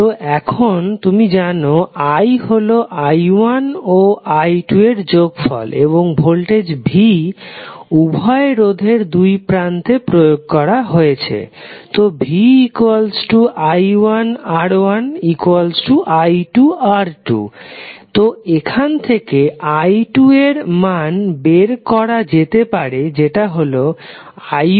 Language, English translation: Bengali, So now you know that i is nothing but i1 plus i2 and voltage V is anyway applied across both of the resistors, so V is nothing but i1, R1 or i2 R2, right